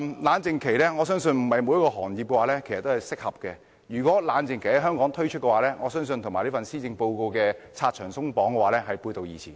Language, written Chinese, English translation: Cantonese, 我認為不是每個行業都適合設立冷靜期，如果香港實施冷靜期的規定，我相信會與施政報告"拆牆鬆綁"的主張背道而馳。, I think the imposition of cooling - off periods is not suitable for every industry . If cooling - off period is imposed I believe it will run counter to the proposal of the Policy Address on removing obstacles